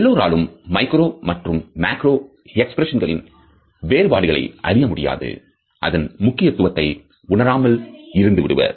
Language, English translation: Tamil, Not everybody can make out the difference between a macro and micro expression and can lose the significance or the meaning of micro expressions